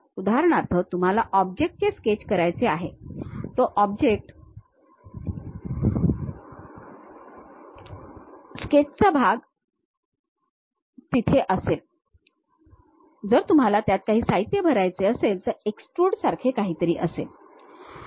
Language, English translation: Marathi, For example, you want to sketch the object, that object sketch portion will be there, you want to fill the material, something like extrude will be there